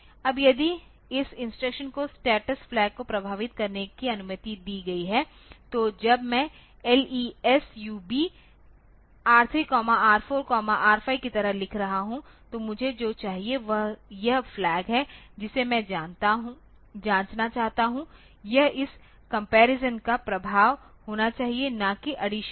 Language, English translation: Hindi, Now if this instruction is allowed to affect the status flag then when I am writing like LESUB R3, R4, R5 so, what I want is this flag that I want to check so, this should be the affect of this comparison and not this addition ok